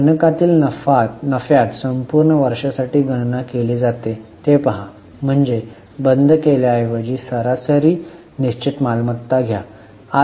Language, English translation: Marathi, See in the numerator the profit is calculated for the whole year so it makes sense to instead of taking the closing take the average fixed assets